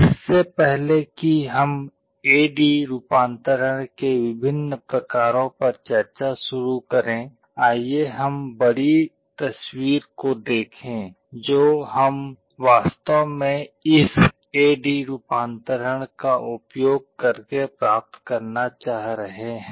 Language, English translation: Hindi, Before we start the discussion on the different types of A/D conversion, let us look at the bigger picture, what we are actually trying to achieve using this A/D conversion